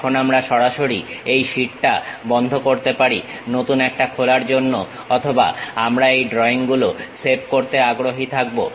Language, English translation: Bengali, Now, we can straight away close this sheet to open a new one or we are interested in saving these drawings